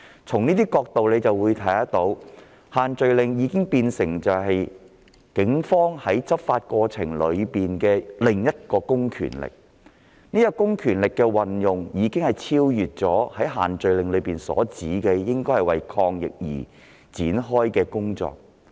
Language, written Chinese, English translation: Cantonese, 從這個角度，可見限聚令已變成警方執法過程中的另一公權力，而這種公權力的運用已超越限聚令所訂，為抗疫而展開的工作。, From this perspective it can be seen that the social gathering restrictions have become another means of public power exercised by the Police during law enforcement and such a use of public power has already gone beyond the scope of work required for fighting the epidemic under the social gathering restrictions